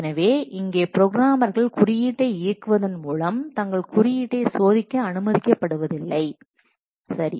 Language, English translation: Tamil, So here the programmers are not allowed to test any of their code by executing the code